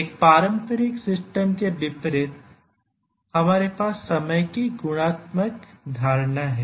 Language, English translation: Hindi, In contrast in a traditional system we have the notion of a qualitative notion of time